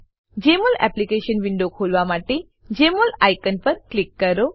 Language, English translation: Gujarati, Click on the Jmol icon to open the Jmol Application window